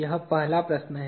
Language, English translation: Hindi, That is the first question